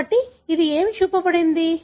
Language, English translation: Telugu, So, what it is shown